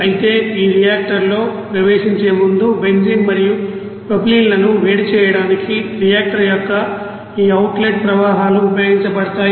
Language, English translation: Telugu, However this outlet streams of reactor is utilize to heat up that you know benzene and propylene before entering to this reactor